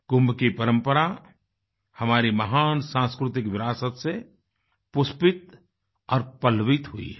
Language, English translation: Hindi, The tradition of Kumbh has bloomed and flourished as part of our great cultural heritage